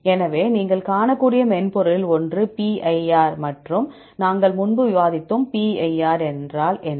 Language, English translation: Tamil, So, one of the software you can see is PIR and we discussed earlier; what is PIR